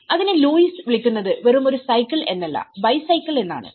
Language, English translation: Malayalam, It is where the Lewis calls it is not just a cycle he calls it is a bicycle